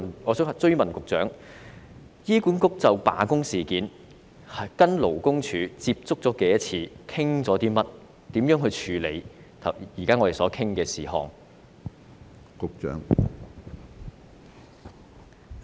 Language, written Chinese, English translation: Cantonese, 我想追問局長，醫管局就罷工事件與勞工處接觸了多少次、討論內容為何，以及會如何處理我們現時討論的事宜呢？, I have this follow - up question for the Secretary For how many times has HA contacted the Labour Department LD with regard to the strike the matters discussed and how will they deal with the issues that we are currently discussing?